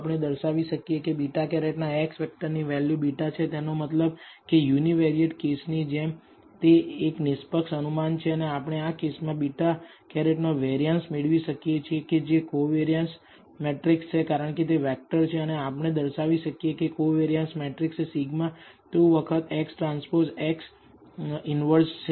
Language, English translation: Gujarati, We can show that the X vector value of beta hat is beta which just means it is an unbiased estimate just as in the univariate case and we can also get the variance of this beta hat the in this case it is a covariance matrix because it is a vector and we can show that the covariance matrix is sigma squared times this X transpose X inverse